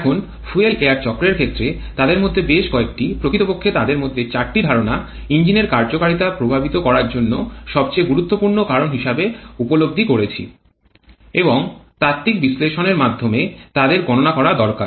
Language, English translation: Bengali, Now in case of fuel air cycle quite a few of them actually 4 of the assumptions we have realized which are the most important factors in influencing the engine performance and also it is possible to take care of them through theoretical analysis